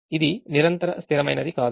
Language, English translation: Telugu, it is not a continuous variable